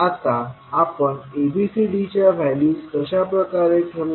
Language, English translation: Marathi, Now, how we will define, determine the values of ABCD